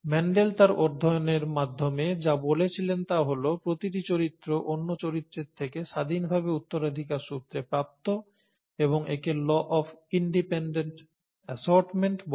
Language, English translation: Bengali, And what Mendel said through his studies was that each character is inherited independent of the other characters, and this is called the law of independent assortment